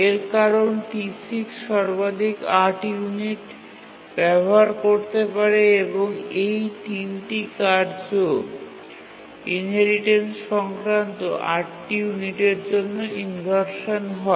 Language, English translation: Bengali, Because D6 can use at most for 8 units and these 3 tasks will suffer inheritance related inversion for at most 8 units